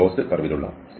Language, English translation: Malayalam, So, the curve is closed